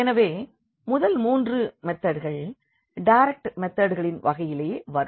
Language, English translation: Tamil, So, the first three methods falls into the category of the direct methods